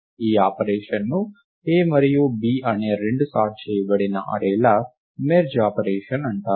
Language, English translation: Telugu, This operation is called the merging operation of the two sorted arrays A and B